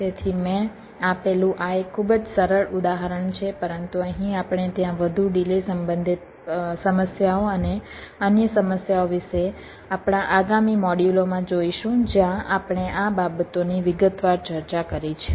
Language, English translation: Gujarati, so this is just a very simple example i have given, but here we shall be looking at much more delay, ah, delay related issues and other problems there in in our next modules, where we discussed these things in detail